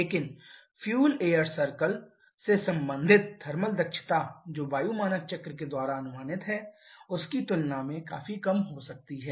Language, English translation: Hindi, But the thermal efficiency related by the fuel air circle can be significantly lower than what can be predicted following an air standard cycle